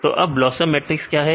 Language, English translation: Hindi, Then what is BLOSUM matrix